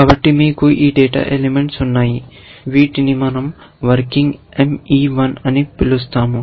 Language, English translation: Telugu, So, you have this data elements which we call working M E 1